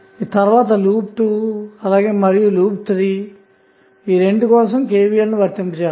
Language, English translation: Telugu, So, for loop 2 if you apply KVL what will happen